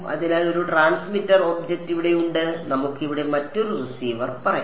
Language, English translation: Malayalam, So, one transmitter object over here and let us say another receiver over here right